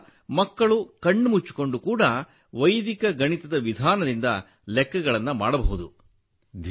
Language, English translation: Kannada, So that if the children want, they can calculate even with their eyes closed by the method of Vedic mathematics